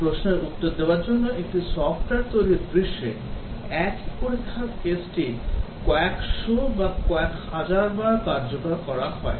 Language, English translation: Bengali, To answer this question in a typically software development scenario the same test case is executed hundreds or thousands of times